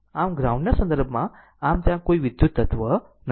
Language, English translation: Gujarati, So, with respect to the ground; so, this is there is no electrical element